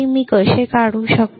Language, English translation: Marathi, How can I draw it